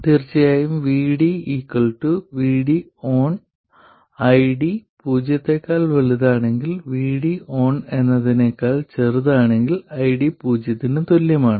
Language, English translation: Malayalam, Of course, VD equals VD on if ID is greater than 0 and ID equals 0 if VD is smaller than VD on